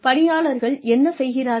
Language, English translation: Tamil, What the employee would be able to do